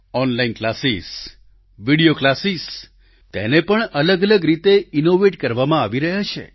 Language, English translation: Gujarati, Online classes, video classes are being innovated in different ways